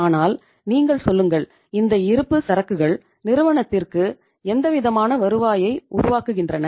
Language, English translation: Tamil, But you tell me these inventories do they generate any kind of the return to the firm